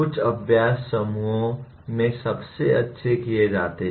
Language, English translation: Hindi, Some exercises are best done in groups